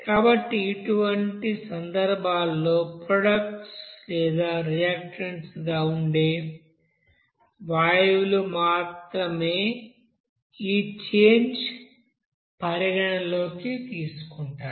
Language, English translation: Telugu, So for such cases, the only change which will be taken into account is for gases that is present as product and or reactants